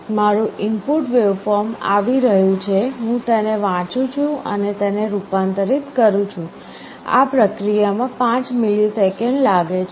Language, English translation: Gujarati, My input waveform is coming, I am reading it, and converting it the process takes 5 milliseconds